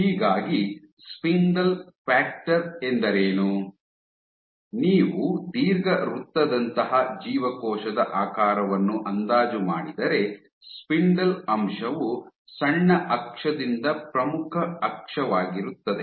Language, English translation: Kannada, So, what is spindle factor it is nothing that if you approximate a cell shape like an ellipse; spindle factor is major axis by minor axis